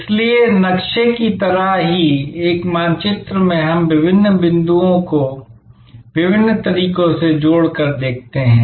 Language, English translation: Hindi, So, the map just like in a map we see different points connected through different ways